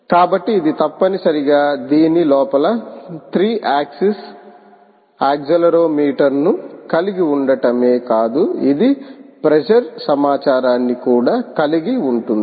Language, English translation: Telugu, so this not only contains the three axis accelerometer inside, it also contains the pressure information